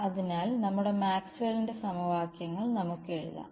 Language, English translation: Malayalam, So, let us say write down our Maxwell’s equations